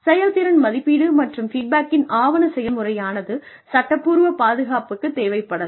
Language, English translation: Tamil, Documentation of performance appraisal and feedback, may be needed for legal defense